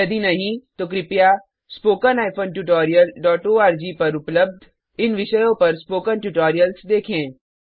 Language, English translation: Hindi, If not, please see the spoken tutorial on these topics available at spoken tutorial.org